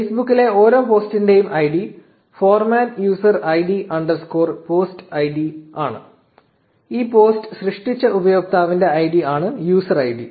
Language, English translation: Malayalam, The id of each post on Facebook is of the format user id underscore post id, where user id is the id of the user who created this post